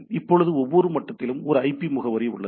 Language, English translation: Tamil, Now at the every level there is a IP address